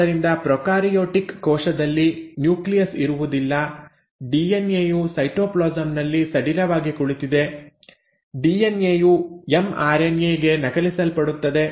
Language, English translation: Kannada, So in a prokaryotic cell, there is nothing called as nucleus, the DNA is loosely sitting in the cytoplasm; the DNA gets copied into an mRNA